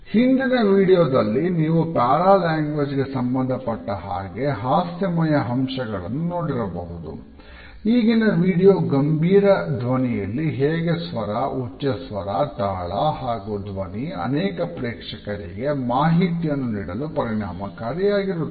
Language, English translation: Kannada, If the previous video had taken up the hilarious aspects related with paralanguage, the current video in a serious manner suggest how tone, pitch, rhythm, pitch and voice have profound impact on those people who have to communicate with a large audience